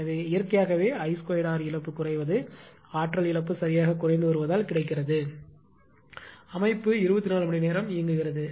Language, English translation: Tamil, So, naturally as I square r loss getting decreased means basically energy loss is getting decreased right because system is on for 24 hours